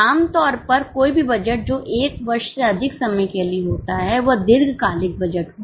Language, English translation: Hindi, Typically any budget which is for more than one year is long term